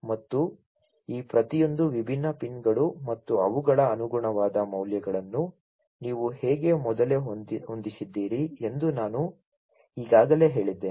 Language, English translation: Kannada, And already I told you how you preset each of these different pins, you know, and their corresponding values